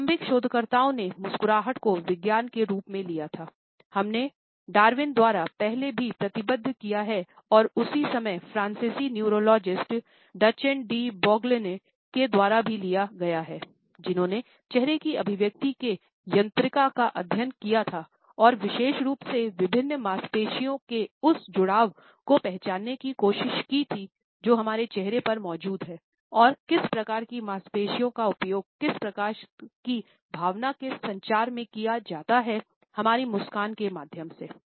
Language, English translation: Hindi, Initial researchers into what can be understood is a science of a smiles were taken up as we have committed earlier by Darwin and at the same time, they were taken up by the French neurologist Duchenne de Boulogne, who had studied the mechanics of facial expressions and particularly had tried to identify that association of different muscles which are present on our face and what type of muscles are used in which type of emotion communication through our smiles